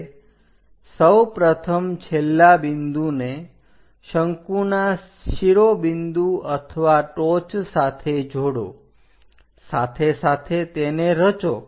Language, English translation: Gujarati, Now join the first last point with the peak or apex of that cone, parallel to that construct